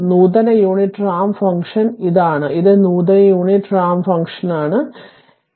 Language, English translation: Malayalam, This is you call that advanced unit ramp function, this is advanced unit ramp function, right